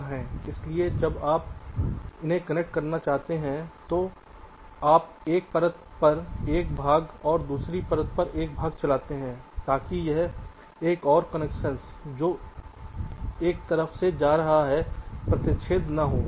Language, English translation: Hindi, so when you want to connect them, you run a part on one layer, a part on other layer, so that this another connection that is going side by side does not intersect